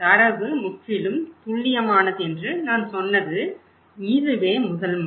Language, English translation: Tamil, This is the first time you have asked what I said the data is totally accurate okay